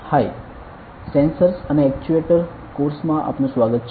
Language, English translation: Gujarati, Hi, welcome to the Sensors and Actuator course